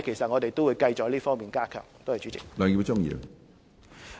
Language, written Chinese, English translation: Cantonese, 我們會繼續加強各方面的工作。, We will continue to strengthen the efforts in various aspects